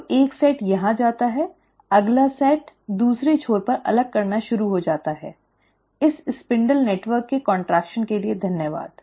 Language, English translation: Hindi, So one set goes here, the next set is starting to get pulled apart at the other end, thanks to the contraction of this spindle network